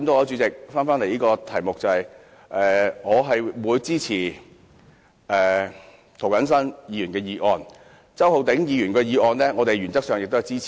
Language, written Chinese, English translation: Cantonese, 主席，針對此議題，我支持涂謹申議員的修正案，至於周浩鼎議員的修正案，我們原則上也是支持的。, President as far as the subject is concerned I support Mr James TOs amendment and we also support Mr Holden CHOWs amendment in principle